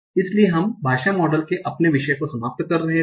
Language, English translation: Hindi, We talked about the basics of language modeling